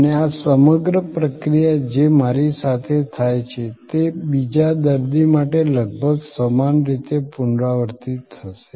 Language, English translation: Gujarati, And this whole flow as it happen to me will be almost identically repeated for another patient